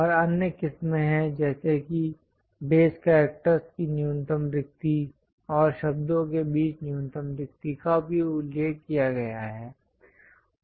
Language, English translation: Hindi, And there are other varieties like minimum spacing of base characters, and also minimum spacing between words are also mentioned